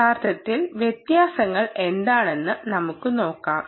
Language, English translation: Malayalam, lets see what it, what really the differences are